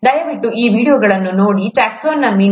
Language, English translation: Kannada, Please look at those videos, on ‘Taxonomy’